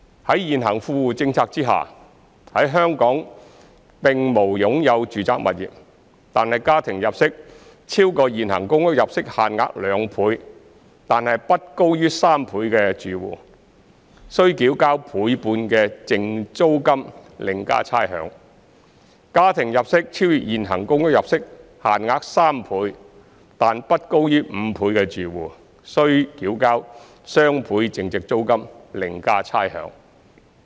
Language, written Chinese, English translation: Cantonese, 在現行富戶政策下，在香港並無擁有住宅物業，但家庭入息超過現行公屋入息限額2倍但不高於3倍的住戶，須繳交倍半淨租金另加差餉；家庭入息超越現行公屋入息限額3倍但不高於5倍的住戶，則須繳交雙倍淨租金另加差餉。, Under the existing WTP for households who do not have domestic property ownership in Hong Kong if their household income is higher than 2 times but less than 3 times the existing PRH income limits they will be required to pay 1.5 times net rent plus rates; if their household income is higher than 3 times but less than 5 times the existing PRH income limits they will be required to pay double net rent plus rates